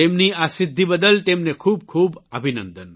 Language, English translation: Gujarati, Many congratulations to her on this achievement